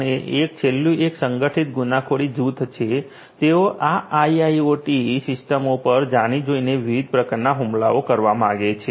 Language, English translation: Gujarati, And the last one is the organized crime groups, who intentionally want to who intentionally only one to launch different types of attacks on these IIoT systems